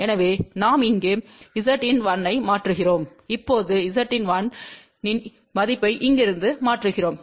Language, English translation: Tamil, So, we substitute Z in 1 over here and now we substitute the value of Z in 1 from here